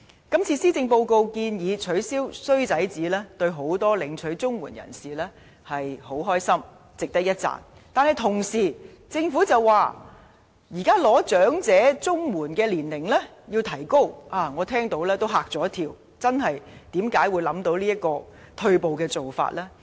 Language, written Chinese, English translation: Cantonese, 今次施政報告建議取消"衰仔紙"，令眾多領取綜援人士很高興，值得一讚，但政府同時把領取長者綜援的合資格年齡提高，我聽到也嚇了一跳，政府為何會想出這種退步的做法呢？, Many CSSA recipients are glad to hear that the Policy Address has proposed to abolish the bad son statement arrangement and they think this deserve our commendation . Yet I am astonished that the Government decides to raise the eligible age for elderly CSSA at the same time . How come the Government can think of such a regressive measure?